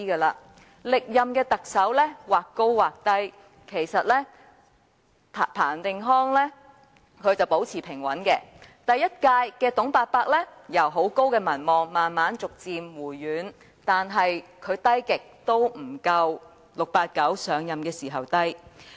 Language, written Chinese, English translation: Cantonese, 歷任特首的民望或高或低，例如彭定康的民望一直保持平穩，第一屆特首"董伯伯"由民望高企至慢慢回軟，但他的民望再低也不及 "689" 上任時的情況。, As we can see from this chart the several former Chief Executives had different levels of popularity rating . For example the popularity rating of Chris PATTEN was all the time stable while that of the first Chief Executive Uncle TUNG was high initially and dropped over time . However TUNGs popularity rating even at its lowest was never as low as that of 689 when he assumed office